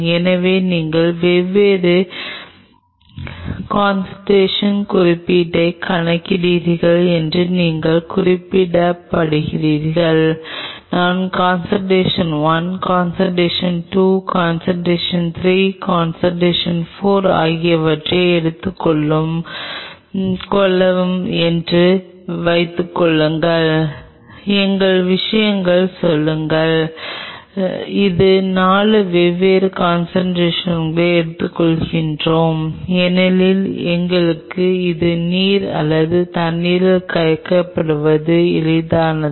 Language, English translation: Tamil, So, you code the subsurface see you code at different concentrations, suppose I take concentration 1, concentration 2, concentration 3, concentration 4, in our case say we take 4 different concentration since this is aqueous or dissolved in water it is easy for us to do it